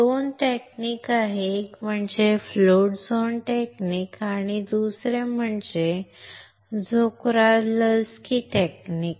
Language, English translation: Marathi, There are two techniques, one is float zone technique and another and another one is Czochralski technique